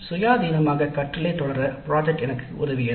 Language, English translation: Tamil, Then project work helped me in pursuing independent learning